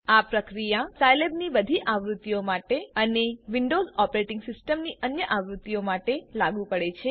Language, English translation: Gujarati, This procedure is applicable to all versions of Scilab and other versions of windows operating system